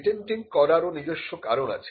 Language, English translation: Bengali, Patenting has it is own reasons too